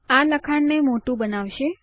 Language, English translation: Gujarati, This will make the text bigger